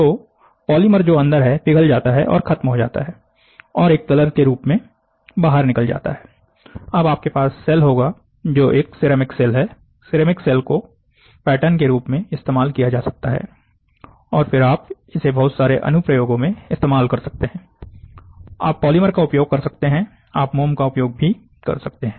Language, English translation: Hindi, So, the polymer which is inside melts and dies of, or it is into liquid you pour it of, now what you have is a shell, a ceramic shell, the ceramic shell can be used as a pattern and then you can start making whole lot of applications, in you can use polymer, you can wax also